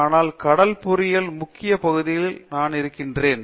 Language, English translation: Tamil, But, let me dwell on the main part of ocean engineering